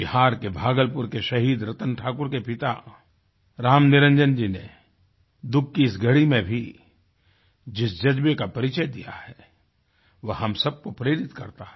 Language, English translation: Hindi, The fortitude displayed by Ram Niranjanji, father of Martyr Ratan Thakur of Bhagalpur, Bihar, in this moment of tribulation is truly inspiring